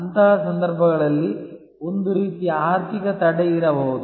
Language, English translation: Kannada, In such cases, there can be some kind of financial barrier